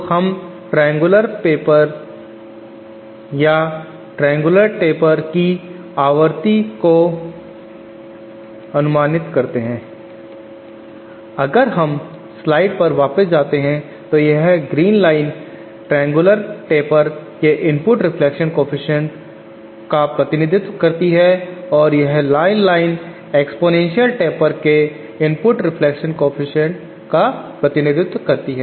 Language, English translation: Hindi, So inference that we can derive from the triangular taper function or this triangular taper is that the frequencyÉ Éif we go back to the slide that this green line represents the input reflection coefficient of triangular taper and this red line represents the input reflection coefficient of exponential taper